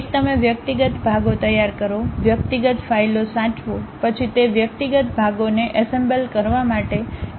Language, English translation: Gujarati, One you prepare individual parts, save them individual files, then import those individual parts make assemble